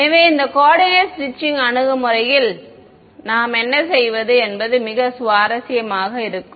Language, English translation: Tamil, So, what we do in this coordinate stretching approach is going to be very interesting